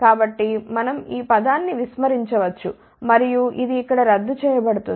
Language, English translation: Telugu, So, we can neglect this term and this one would get cancel here